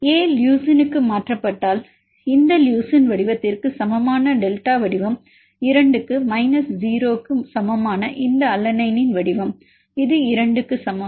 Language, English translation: Tamil, If A is mutated to leucine, and then A is mutated to leucine, delta shape equal to shape of this leucine is equal to 2 minus shape of this alanine that is equal to 0 this is equal to 2